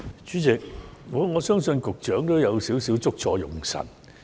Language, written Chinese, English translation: Cantonese, 主席，我相信局長有少許"捉錯用神"。, President I believe the Secretary has just missed the point